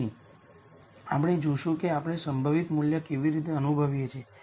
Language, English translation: Gujarati, So, we will see how we feel the most likely value